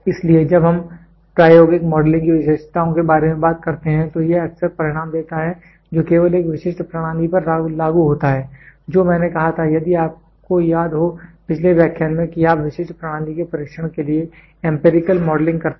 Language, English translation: Hindi, So, when we talk about features of experimental modelling it is often it often gives the results that apply only to a specific system that is what I said you remember in the previous lecture empirical modelling, for the specific system being tested